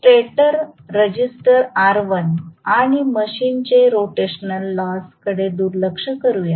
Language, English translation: Marathi, Neglect stator resistance r1 and rotational losses of the machine